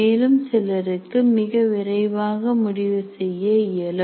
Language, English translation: Tamil, Some people can come to a conclusion very fast